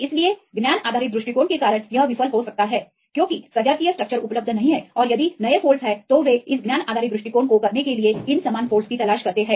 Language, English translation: Hindi, So, because of the knowledge based approach it may fail because the homologous structures are not available and if there is new folds because they look for these similar folds right to do this knowledge based approach